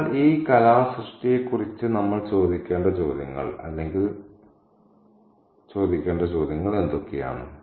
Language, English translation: Malayalam, So, what are the questions that we need to ask or the questions that we should ask about this art object